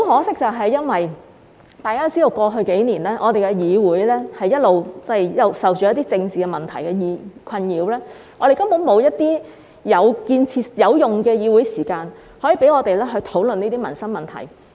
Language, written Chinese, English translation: Cantonese, 但是，很可惜，大家知道過去數年，我們的議會一直受到政治問題困擾，我們根本沒有有用的議會時間，可以讓我們討論這些民生問題。, But regrettably as Members may know this Council was plagued by political issues in the past few years . There was no usable Council meeting time for us to discuss these livelihood issues